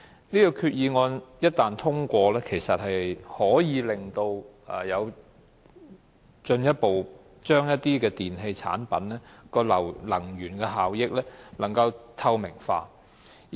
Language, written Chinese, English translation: Cantonese, 這項決議案一旦通過，可以進一步將一些電器產品的能源效益透明化。, Once the resolution is passed the energy efficiency performances of some electrical appliances will become more transparent